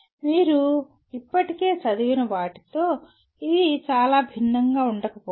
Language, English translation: Telugu, It may not differ very much from something that you already read